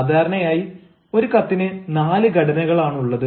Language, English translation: Malayalam, usually, a letters may have four formats